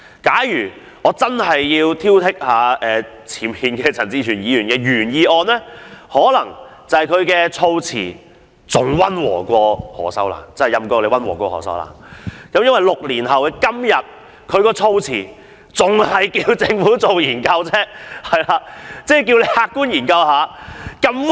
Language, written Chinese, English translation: Cantonese, 假如我要挑剔陳志全議員的原議案，我會說他的議案措辭比何秀蘭的更溫和，因為在6年後的今天，他的議案仍然只是促請政府客觀地進行研究而已。, If I were to nitpick at Mr CHAN Chi - chuens original motion I would say its wording is even more moderate than that of Ms Cyd HOs because his motion is still urging the Government to conduct objective studies today―after the passage of six years